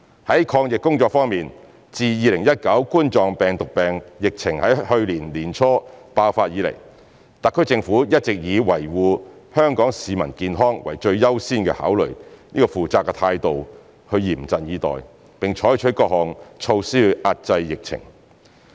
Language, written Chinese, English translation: Cantonese, 在抗疫工作方面，自2019冠狀病毒病疫情在去年年初爆發以來，特區政府一直以維護香港市民健康為最優先考慮的負責任態度嚴陣以待，並採取各項措施遏制疫情。, With regards to anti - epidemic efforts since the outbreak of the Coronavirus disease 2019 COVID - 19 epidemic in early last year the SAR Government has been on the highest alert and according the highest priority to efforts in protecting Hong Kong peoples health in a responsible way by adopting all possible measures to curb the outbreak